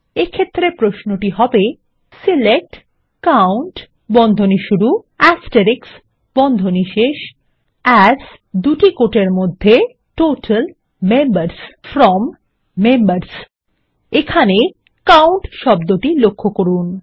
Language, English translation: Bengali, Here is a query: SELECT COUNT(*) AS Total Members FROM Members So here notice the COUNT